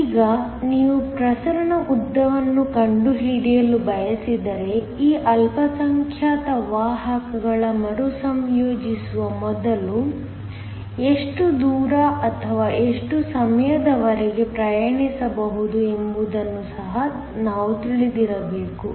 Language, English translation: Kannada, Now, if you want to find the diffusion length, we should also know how far or how long these minority carriers can travel before they recombine